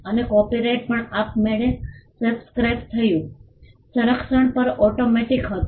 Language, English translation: Gujarati, And copyright also subsisted automatically, the protection was automatic